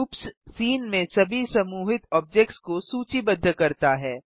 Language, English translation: Hindi, groups lists all grouped objects in the scene